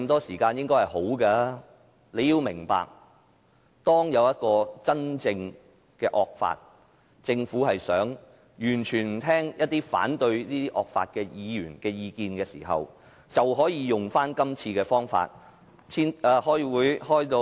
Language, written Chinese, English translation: Cantonese, 市民要明白，當出現真正的惡法，政府完全不聆聽反對惡法的議員的意見時，便可以用這樣的手段。, People need to understand that when the real draconian law emerges the Government can employ the same means to completely shut off views of Members opposing such draconian law